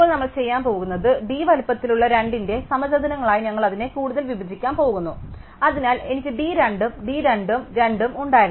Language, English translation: Malayalam, Now, what we are going to do is, we are going to further break it up into these squares of size d by 2, so I had d by 2 plus d by 2